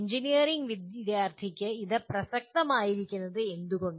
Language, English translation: Malayalam, Now why is it relevant to the engineering student